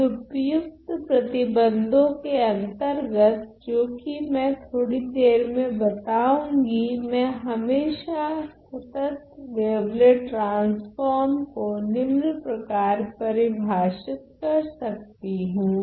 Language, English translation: Hindi, So, then under suitable conditions which I am going to describe slightly later, I can always define my wavelet transform as follows